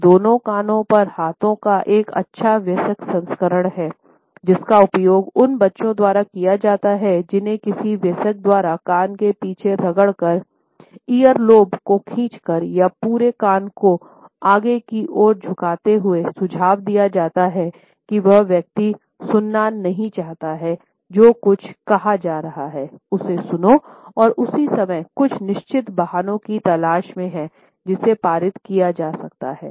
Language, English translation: Hindi, This is a sophisticated adult version of the hands over both ears gesture, used by those children who are being represented by some adult rubbing the back of the ear, pulling at the earlobe or bending the entire ear forward, suggest the person does not want to listen to what is being said and at the same time is looking for certain excuses, which can be passed on